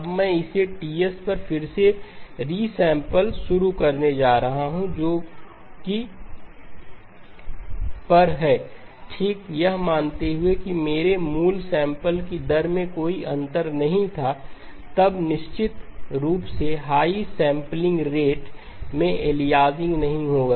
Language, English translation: Hindi, Now I am going to resample it at Ts prime which is at Ts over L okay assuming that my original sampling rate did not have any aliasing then of course the higher sampling rate will not have aliasing